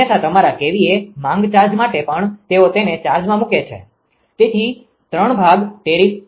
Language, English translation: Gujarati, Otherwise your for your kVA demand charge also they put they charge it; so three part tariff right